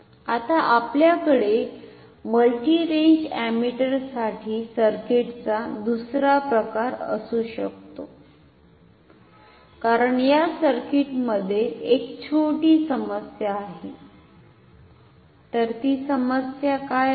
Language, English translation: Marathi, Now we can have another type of a circuit for multi range ammeters, because this circuit has a small problem what is that problem